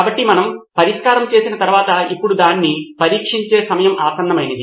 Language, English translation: Telugu, So after we have done with solution now is the time to go and test it out